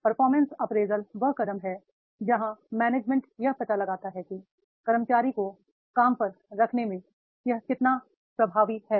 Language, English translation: Hindi, Performance appraisal is the step where the management finds out how effective it has been at hiring and placing employees, right